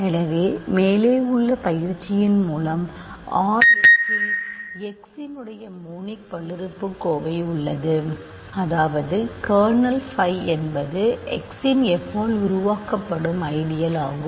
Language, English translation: Tamil, So, by the exercise above there is a monic polynomial f of x in R x such that kernel phi is the ideal generated by f of x